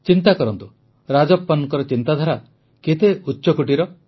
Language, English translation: Odia, Think, how great Rajappan ji's thought is